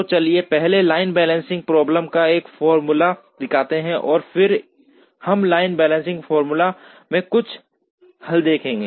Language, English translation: Hindi, So, let us first show a formulation of the line balancing problem and then we would look at a couple of solutions to the line balancing problem